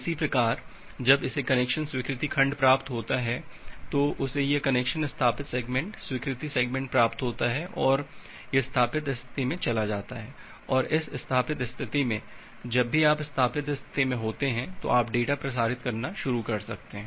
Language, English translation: Hindi, Similarly the client when it gets the connection accepted segment it received this connection established segment, accepted segment and it moves to the established state and in this established state, you can start transmitting the data whenever you are in the established state